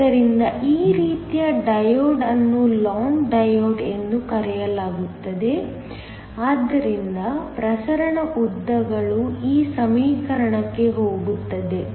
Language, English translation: Kannada, So, this kind of a diode is called a long diode so that, the diffusion lengths are what goes in to this equation